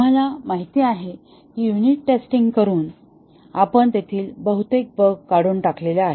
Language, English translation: Marathi, We know that by doing unit testing, we have eliminated most of the bugs there